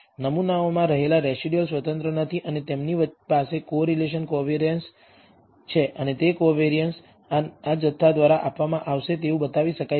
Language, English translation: Gujarati, The residuals in the samples are not independent and they have a correlation covariance and that covariance can be shown to be given by this quantity